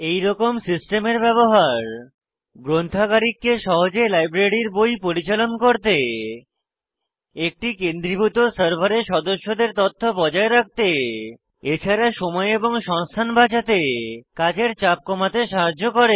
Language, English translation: Bengali, The use of such a system helps The librarian to manage the books in the library easily To maintain membership information on one centralized server To save time and resources and To reduce the workload Now, let me quickly show you the system